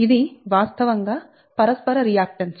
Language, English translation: Telugu, so this is actually mutual reactance